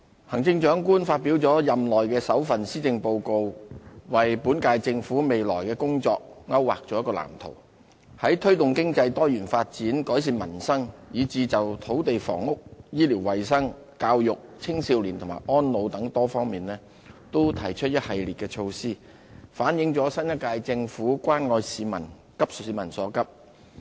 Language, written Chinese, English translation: Cantonese, 行政長官發表了任內首份施政報告，為本屆政府未來的工作勾劃了一個藍圖，在推動經濟多元發展、改善民生，以至就土地房屋、醫療衞生、教育、青少年和安老等多方面都提出了一系列措施，反映了新一屆政府關愛市民、急市民所急。, The Chief Executive in her maiden Policy Address has outlined a blueprint for the future of government work in this term and proposed a wide range of initiatives to promote economic diversity improve peoples livelihood and address issues concerning land and housing health care and hygiene education young people elderly services and so on . The efforts show that the new - term Government cares about the people and is eager to address their pressing needs